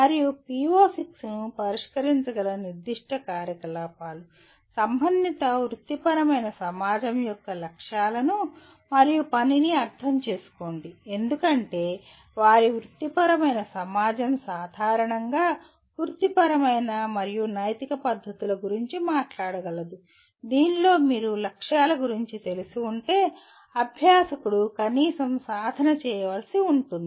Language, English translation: Telugu, And the specific activities by which PO6 can be addressed: understand the goals and working of relevant professional society because their professional society can generally talks about the professional and ethical manner in which the practitioner will have to practice at least if you are familiar with the goals and working of relevant professional society one can understand some dimensions of this PO